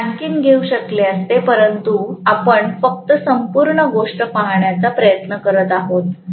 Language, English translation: Marathi, I could have taken more, but we are just trying to look at the whole thing